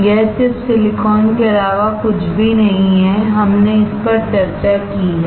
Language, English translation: Hindi, This chip is nothing but silicon, we have discussed it